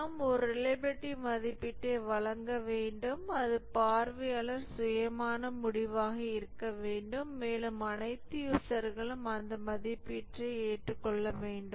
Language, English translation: Tamil, We need to give one reliability rating and that should be observer independent and all users should agree on that rating